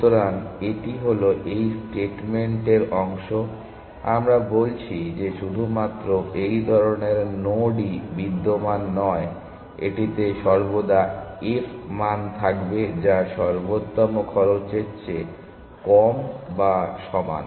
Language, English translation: Bengali, So, this is this is part of the statement, we are saying that not only the such a nodes node exist it will always have f value which is lower than or equal to the optimal cost